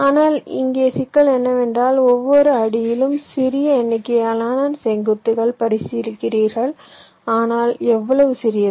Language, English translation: Tamil, but the problem here is that, as i had said, you are considering small number of vertices at each steps, but how small